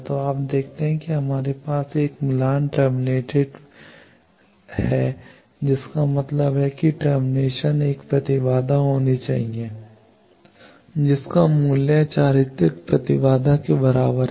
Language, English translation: Hindi, So, you see we have match terminated match terminated means the termination should be an impedance whose value is equal to the characteristic impedance